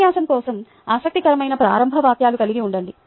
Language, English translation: Telugu, have an interesting opening for the lecture